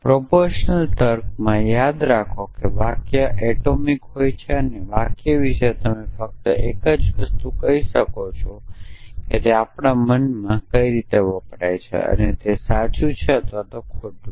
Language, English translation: Gujarati, Remember in proportion logic a sentence is atomic and the only thing you can say about a sentence is that in our mind it stands for something